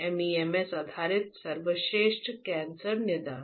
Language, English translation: Hindi, MEMS based best cancer diagnosis